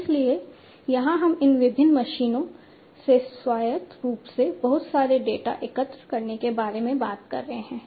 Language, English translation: Hindi, So, here we are talking about collecting lot of data autonomously from these different machines